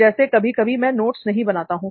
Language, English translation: Hindi, Like sometimes I do not prepare notes